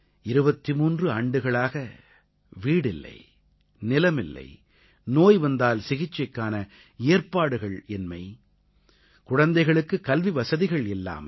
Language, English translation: Tamil, For 23 years no home, no land, no medical treatment for their families, no education facilities for their kids